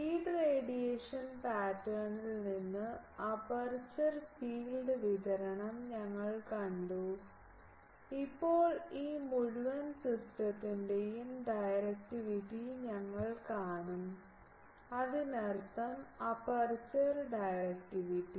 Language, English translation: Malayalam, We have seen the aperture field distribution from the feeds radiation pattern, now we will see the directivity of the this whole system; that means, aperture directivity